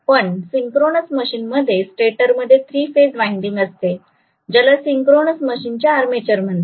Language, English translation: Marathi, But in a synchronous machine what happens is the stator has the 3 phase winding which is known as the Armature of the synchronous machine